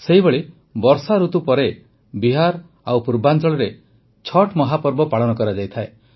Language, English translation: Odia, On similar lines, after the rains, in Bihar and other regions of the East, the great festival of Chhatth is celebrated